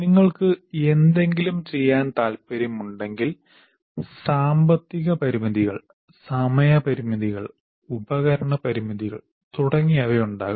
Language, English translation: Malayalam, What happens if you want to perform something, you have other constraints like monetary constraints, time constraints, and equipment constraints and so on